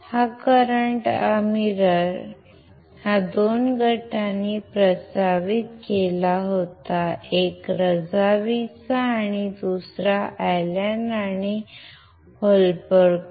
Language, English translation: Marathi, This current mirror were proposed by 2 groups one is from Razavi and another from Allen and Holberg